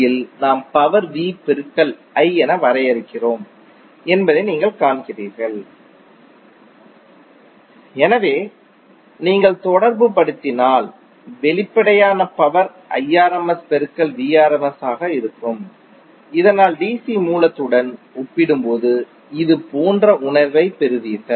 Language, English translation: Tamil, So if you corelate with the DC voltage source power you see that in DC we define power as v into i, so if you correlate the apparent power would be the Irms into Vrms, so that you get a feel of like this is apparent as compared with the DC source